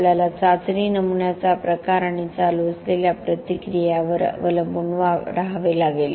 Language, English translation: Marathi, We have to use depending on the type of the test specimen and the physical reaction that is going on